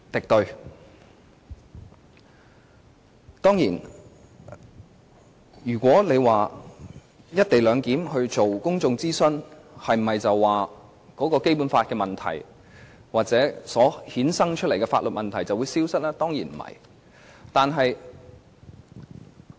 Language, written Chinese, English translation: Cantonese, 當然，有人會問，如果真的就"一地兩檢"進行公眾諮詢，那麼《基本法》的問題或方案所衍生的法律問題是否便會消失呢？, Of course one may query if a public consultation on the co - location arrangement can remove all the problems with regard to the Basic Law or all the legal issues arising from the proposal